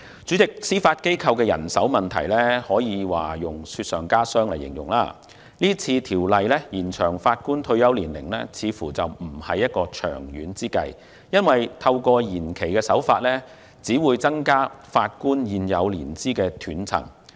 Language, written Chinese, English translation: Cantonese, 主席，司法機構人手問題可以用"雪上加霜"來形容，《條例草案》延展法官退休年齡似乎並非長遠之計，因為透過延期只會增加法官現有年資的斷層。, President the manpower problem of the Judiciary is exacerbating and it seems that extending the retirement ages for Judges through the Bill is not a long - term solution . The extension will only increase the gap in seniority of Judges